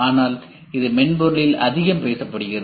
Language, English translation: Tamil, But this is very much talked about in software